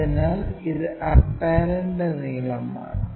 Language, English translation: Malayalam, So, this is apparent length